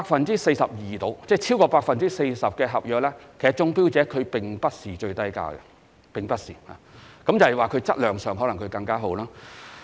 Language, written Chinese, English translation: Cantonese, 當中有大約 42% 合約的中標者，其投標價並非最低，而是因為其質量較好。, About 42 % of the successful bidders of such works contracts won the bids not because they had offered the lowest tender prices but because they had submitted a tender with a better quality